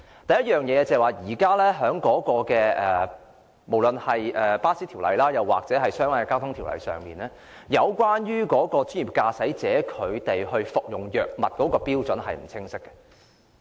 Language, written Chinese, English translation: Cantonese, 第一，無論是在有關巴士服務的條例或相關的交通條例下，有關專業駕駛者服用藥物的標準並不清晰。, First a clear standard is lacking for the use of drugs by professional drivers under ordinances relating to bus services or relevant transport ordinances